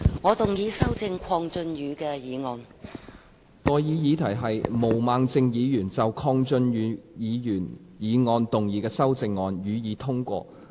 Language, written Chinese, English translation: Cantonese, 我現在向各位提出的待議議題是：毛孟靜議員就鄺俊宇議員議案動議的修正案，予以通過。, I now propose the question to you and that is That the amendment moved by Ms Claudia MO to Mr KWONG Chun - yus motion be passed